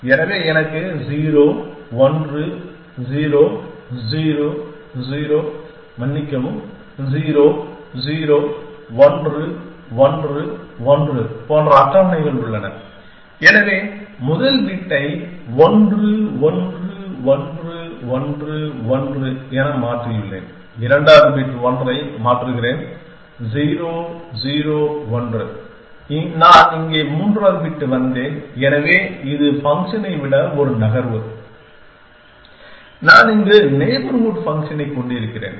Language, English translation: Tamil, So, I have tables like 0, 1, 0, 0, 0, sorry 0, 0, 1, 1, 1, so have change the first bit then 1, 1, 1, 1, 1, I change the second bit 1, 0, 0, 1, I came the third bit here, so this is one move than function that I have all her neighborhood function